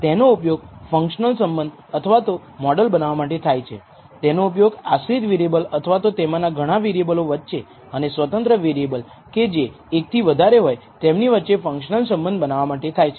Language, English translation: Gujarati, It is used to build a functional relationship or what we call model, between a dependent variable or variables there may be many of them and an independent variable again there might be more than one independent variable